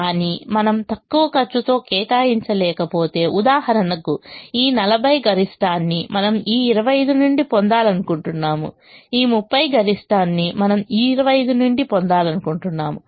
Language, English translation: Telugu, but if we are not able to allocate in the least cost position for example, if we take here this forty maximum we would like to get from this twenty five, this thirty maximum we would like to get from this twenty five